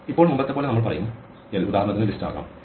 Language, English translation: Malayalam, Now as before we will say l for instance could be the list